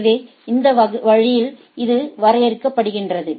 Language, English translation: Tamil, So, this way it is defined